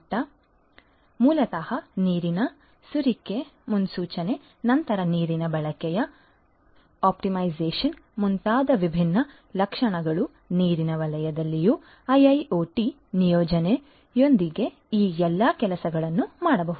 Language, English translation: Kannada, So, basically you know different different features such as prediction of water leakage, then optimization of water usage, all of these things could be done with the deployment of IIoT in the water sector as well